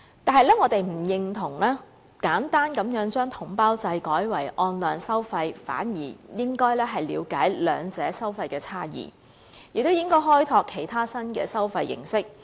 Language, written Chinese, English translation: Cantonese, 但是，我們不認同簡單地將統包制改為按量收費，反而應該了解兩者的收費差異，亦應該開拓其他新的收費形式。, However we do not agree that we should simply replace the package deal system with payment on actual supply quantity . On the contrary we should appreciate the differences in charges of the two and should also develop other new mode of charging